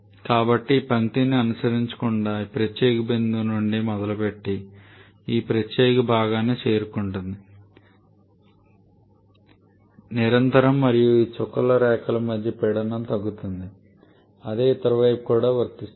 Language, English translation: Telugu, So, we are not able to follow this line rather while it starts from this particular point it deviates and reach to this particular portion there is a pressure drop between the continuous and these dotted lines the same applies on the other side as well